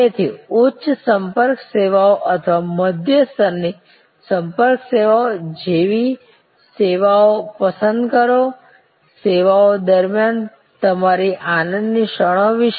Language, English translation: Gujarati, So, choose services like high contact services or medium level of contact services, thing about your moments of joy during the services